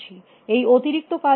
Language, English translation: Bengali, What is the cost of this